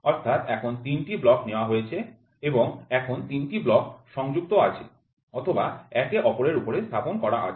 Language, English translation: Bengali, So, now, 3 blocks are taken and these 3 blocks they are attached or they are placed one above each other